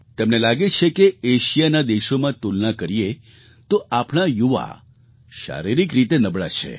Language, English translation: Gujarati, He feels that our youth are physically weak, compared to those of other Asian countries